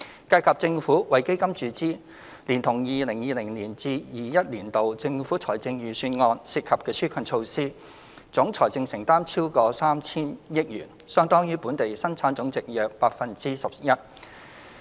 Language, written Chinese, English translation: Cantonese, 計及政府為基金注資，連同 2020-2021 年度政府財政預算案涉及的紓困措施，總財政承擔超過 3,000 億元，相當於本地生產總值約 11%。, Coupled with the Governments injection into AEF and relief measures under the 2020 - 2021 Budget a financial commitment totalling over 300 billion which represents about 11 % of the Gross Domestic Product has been incurred